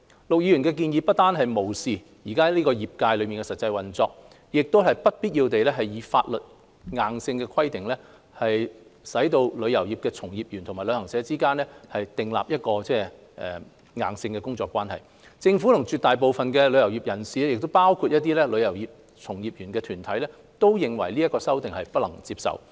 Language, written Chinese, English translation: Cantonese, 陸議員的建議不但無視現時業界的實際運作，亦會不必要地以法例規定旅遊業從業員與旅行社之間訂立硬性的工作關係，政府和絕大部分旅遊業界人士，包括一些旅遊業從業員團體，皆認為這項修訂不能接受。, Mr LUK Chung - hungs proposal has ignored the actual operation of the industry at present and it will unnecessarily stipulate in the law to mandate the relationship between practitioners of the industry and travel agents . The Government shares the views of the majority of members of the travel industry including some associations of practitioners of the travel industry that Mr LUKs amendment is unacceptable